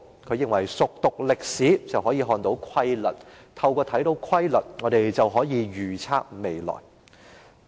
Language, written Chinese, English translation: Cantonese, "他認為熟讀歷史，便可以看出規律；看出規律，便可以預測未來。, He believed that a good understanding of history would enable us to see a regular pattern; and when we could see a regular pattern we could predict the future